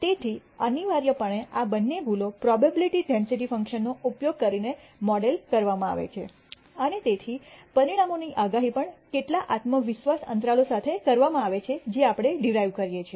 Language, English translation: Gujarati, So, inevitably these two errors are modeled using probability density func tions and therefore, the outcomes are also predicted with certain con dence intervals, which we derive